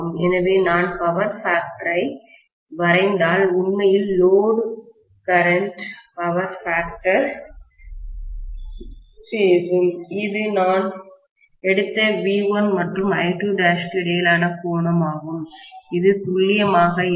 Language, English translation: Tamil, So, if I draw the power factor, actually speaking the load current power factor I have taken that as the angle between V1 and I2 dash, which is not accurate